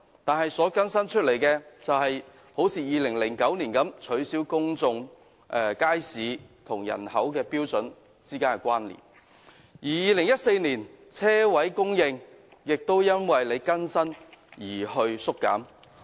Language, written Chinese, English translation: Cantonese, 2009年更新《規劃標準》的結果，是取消公眾街市與人口標準之間的關連；而在2014年，泊車位供應則因為《規劃標準》更新而縮減。, While an update of HKPSG in 2009 had led to the deletion of the population - based planning standard for public market another update in 2014 had resulted in a reduction in the number of parking spaces